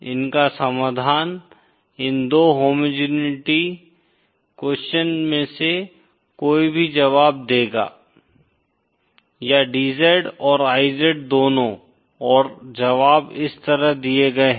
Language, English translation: Hindi, The solution of these, any of these 2 homogeneity questions will give solution or both, DZ and IZ